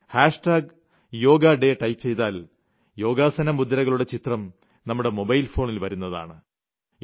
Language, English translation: Malayalam, As soon as we typed 'hash tag yoga day', we would immediately get a picture of a yoga image on our mobile